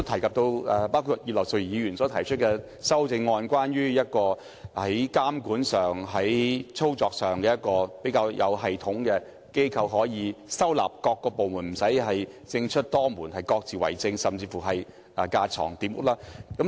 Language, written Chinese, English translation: Cantonese, 葉劉淑儀議員提出的修正案，建議成立一個專責推動旅遊事務的監管機構，以統籌各個部門，避免政出多門，各自為政，甚至架床疊屋。, Mrs Regina IP has proposed an amendment to set up a regulatory body dedicated to promoting tourism which will coordinate various departments so as to avoid fragmentation of responsibilities a lack of coordination among departments and even a multi - layered governing structure